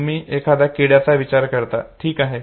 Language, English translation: Marathi, You think of an insect, okay